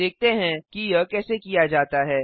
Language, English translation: Hindi, Lets see how it is done